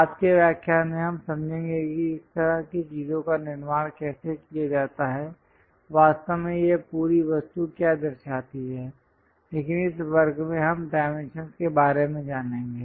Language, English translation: Hindi, Later lectures, we will understand that how to construct such kind of things, what exactly this entire object represents, but in this class we will learn about dimensions